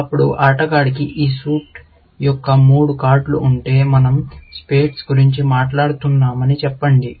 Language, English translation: Telugu, Now, if the player had three cards of this suit; let us say we are talking about spades